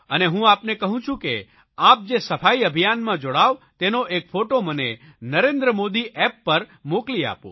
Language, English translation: Gujarati, You involve yourself physically for 2 hours, 4 hours with cleaning work and I request you to share your cleanliness drive photo on NarendraModiApp